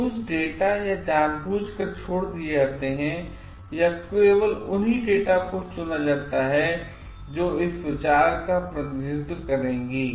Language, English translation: Hindi, So, certain datas are omitted or only those data are chosen which will represent this idea